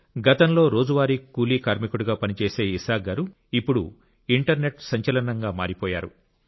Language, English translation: Telugu, Isaak ji once used to work as a daily wager but now he has become an internet sensation